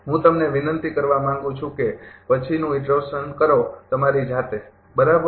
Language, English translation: Gujarati, I request you to do the next iteration, of yourself right